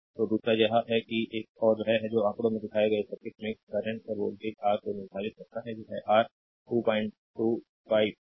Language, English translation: Hindi, So, second one is that another one is that determine the currents and voltage your in the circuit shown in figure, this your 2